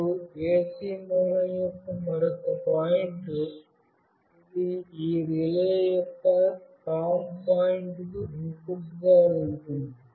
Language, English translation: Telugu, And another point of the AC source, which is this one is going to as an input to the COM point of this relay